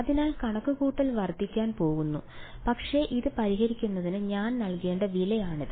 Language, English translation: Malayalam, So, computation is going to increase, but that is a price that I have to pay for solving this